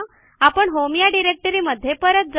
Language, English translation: Marathi, It will go to the home directory